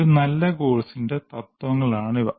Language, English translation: Malayalam, These are the principles of any good course